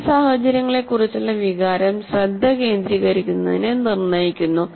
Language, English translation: Malayalam, So how a person feels about learning situation determines the amount of attention devoted to it